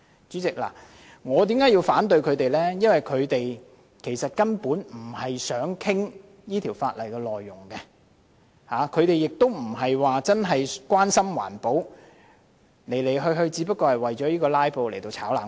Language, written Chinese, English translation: Cantonese, 主席，我反對這項議案，因為相關議員不是真正想討論《條例》內容，亦非真正關心環保，只是為了"拉布"而"炒冷飯"。, President I oppose this motion because the Members concerned do not really want to discuss the contents of the Ordinance and they do not really care about environmental protection; they are just requesting further discussion on the issue for the sake of filibustering